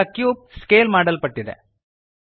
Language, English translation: Kannada, The cube is now scaled